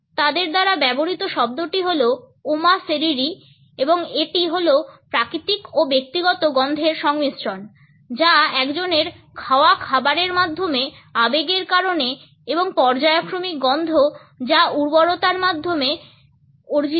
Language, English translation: Bengali, The word which is used by them is Oma Seriri and it is a combination of natural personal odors which are acquired through the food one eats, odors which are caused by emotions and periodic odors which are related to fertility